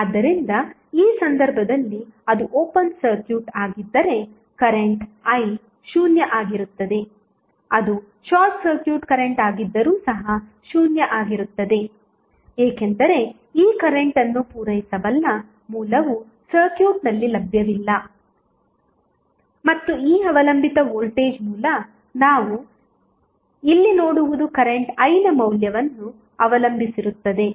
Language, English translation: Kannada, So, if it is open circuited like in this case, the current I would be 0, even if it is short circuited current would still be 0 because the source which can supply this current is not available in the circuit and this dependent voltage source which we see here depends upon the value of current I